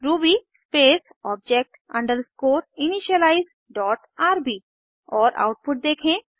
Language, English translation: Hindi, Switch to the terminal and type ruby space object underscore initialize dot rb and see the output